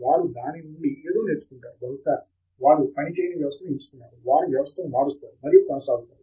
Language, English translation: Telugu, They learn something from it, maybe they have chosen a system that doesn’t work and so on, they change the system and go on